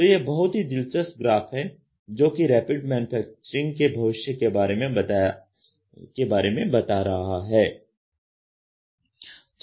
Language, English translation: Hindi, So, this is a very interesting graph which talks about what will be the future of Rapid Manufacturing